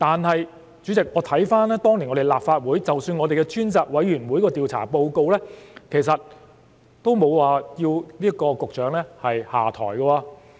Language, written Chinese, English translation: Cantonese, 可是，主席，我看回當年的立法會，我們的專責委員會的調查報告其實也沒有要求局長下台。, But President if we refer to the report of the Select Committee of the Legislative Council which inquired into the SARS outbreak at that time it did not request him to resign